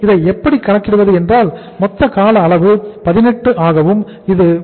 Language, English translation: Tamil, So how much it works out as total duration is 18 and that is 33